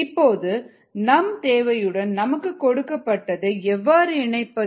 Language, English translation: Tamil, now how to connect what is needed to what is given